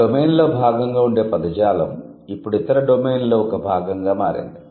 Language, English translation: Telugu, A vocabulary, it used to be a part of one domain and now it has become a part of the other domain